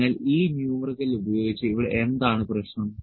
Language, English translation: Malayalam, So, using this numerical what is the problem here